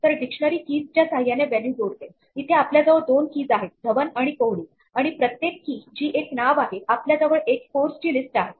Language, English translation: Marathi, So, dictionaries associate values with keys here we have two keys Dhawan and Kohli and with each key which is a name we have a list of scores